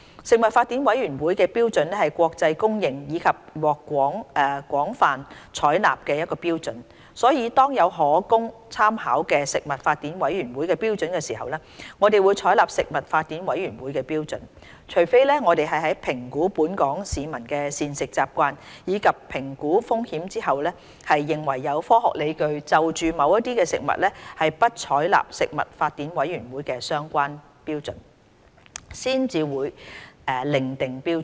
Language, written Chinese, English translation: Cantonese, 食品法典委員會的標準是國際公認及獲廣泛採納的標準，所以當有可供參考的食品法典委員會標準時，我們會採納食品法典委員會的標準，除非我們在評估本港市民的膳食習慣，以及評估風險後，認為有科學理據就某些食物不採納食品法典委員會的相關標準，才會另訂標準。, The standards of the Codex Alimentarius Commission Codex are internationally recognized and widely adopted . Hence when there are available Codex standards for reference the Codex standards would be adopted unless after assessing the dietary habits of the local population and conducting a risk assessment study there are scientific justifications for not doing so for certain foods; then different standards would be adopted